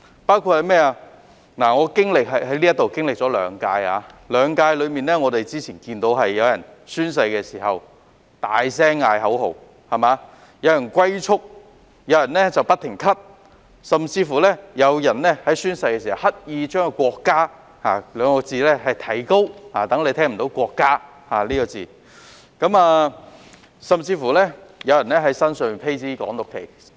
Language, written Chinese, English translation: Cantonese, 我在立法會經歷了兩屆任期，在這兩屆任期中看到有人宣誓時大喊口號、有人"龜速"讀誓詞、有人宣誓時不停咳嗽，有人宣誓時刻意提高聲調來讀出"國家"一詞，令人聽不到"國家"一詞，甚至有人在身上披着"港獨"旗幟宣誓。, I have sat in the Legislative Council for two terms . During these two terms I have seen some people chanting slogans loudly when taking oath; some people reading their oaths at turtle speed; some people coughing incessantly when taking their oaths; some people deliberately raising their voices when they came to the word country so that people could not hear the word country and some people wearing banners of Hong Kong independence on their shoulders while taking oath